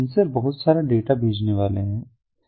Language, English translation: Hindi, they are going to send lot of data